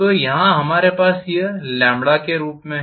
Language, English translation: Hindi, So I am writing this like this